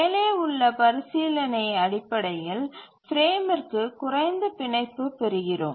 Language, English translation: Tamil, So based on this consideration, we get a lower bound for the frame